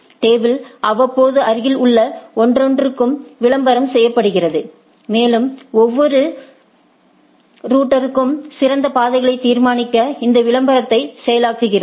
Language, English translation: Tamil, The table is periodically advertised to each neighbor and each router processes this advertisement to determine the best paths